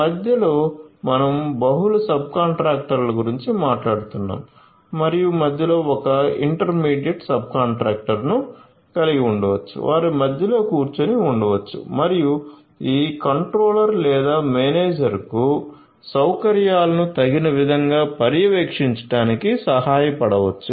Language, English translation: Telugu, In between because we are talking about multiple subcontractors and so on, in between again you could have an intermediate you could have an intermediate subcontractor an intermediate subcontractor who could be sitting in between and could help this controller or the manager to monitor the facilities appropriately